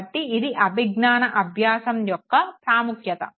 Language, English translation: Telugu, So, this is the importance of cognitive learning